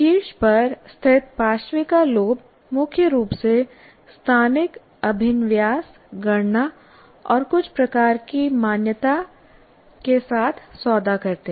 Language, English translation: Hindi, And parietal lobes located at the top deal mainly with spatial orientation, calculation and certain types of recognition